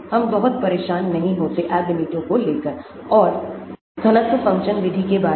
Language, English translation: Hindi, let us not bother too much about the Ab initio and density function methods